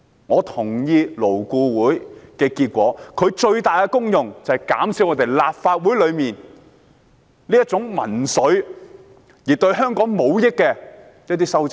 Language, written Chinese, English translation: Cantonese, 勞顧會的最大功能，是要減少立法會內宣揚民粹及對香港無益的修正案。, The biggest function of LAB is to minimize the promotion of populism and the amendments which will not benefit Hong Kong in the Legislative Council